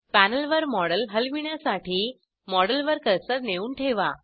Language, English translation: Marathi, To move the model on the panel, place the cursor on the model